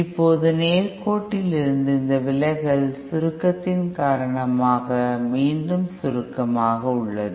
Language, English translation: Tamil, Now this deviation from the straight line is due to the compression, again compression